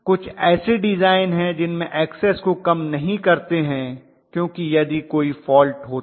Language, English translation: Hindi, There are designs which do not minimize Xs because in case a fault occurs